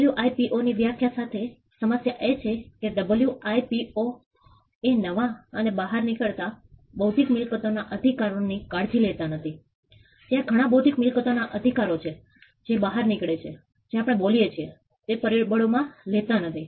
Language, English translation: Gujarati, The problem with the WIPOs definition is the WIPOs definition does not take care of the new and emerging intellectual property rights, there are some intellectual property rights that are emerging as we speak it does not take that into factor